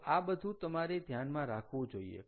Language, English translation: Gujarati, so that has been taken into account